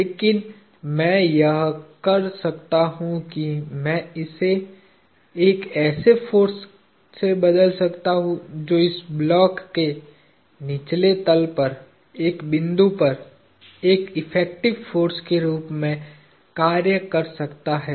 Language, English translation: Hindi, But, what I can do is I can replace this with a force that acts at a single point on the bottom of this block as an effective force